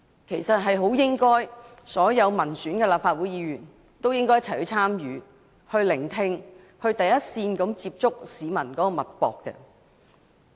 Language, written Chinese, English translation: Cantonese, 其實，所有民選立法會議員都應該一起參與、聆聽，從第一線接觸社會脈搏。, In fact all elected Members of the Legislative Council should participate in the march and listen to public views so as to be in the front line to feel the pulse of society